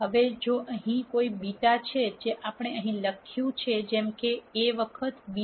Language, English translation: Gujarati, Now if there is a beta which is what we have written here such that a times beta equal to 0